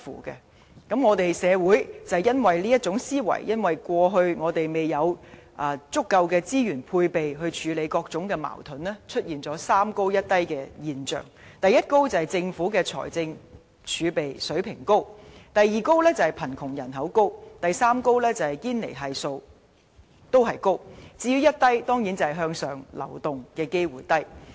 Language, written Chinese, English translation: Cantonese, 由於這種思維，我們的社會一直未有調撥足夠的資源來處理各種矛盾，以致出現"三高一低"的現象：第一高是政府財政儲備水平高、第二高是貧窮人口高，第三高是堅尼系數高，至於"一低"當然是向上流動機會低。, Owing to such mindset society has long been unable to deploy sufficient resources to handle different conflicts leading to a three Highs one Low phenomenon . The first High is the Governments fiscal reserves balance; the second High is poverty population; the third High is the Gini Coefficient . For one Low it refers to low chance of upward mobility of course